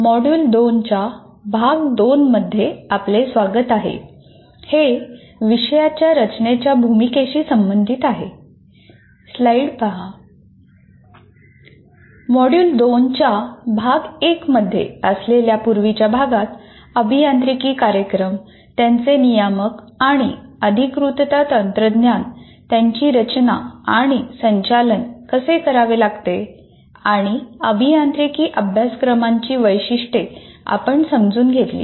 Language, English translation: Marathi, And in the earlier unit, that is unit one of module two, we understood the nature of engineering programs, regulatory and accreditation mechanisms as per which they have to be designed and conducted and features of engineering courses